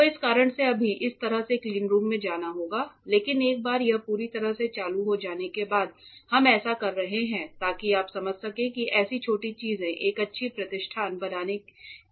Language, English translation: Hindi, So, for that reason right now it is to go in to the cleanroom in this way, but once it is fully operational we are doing this so that you understand how small things come together form to form a good establishment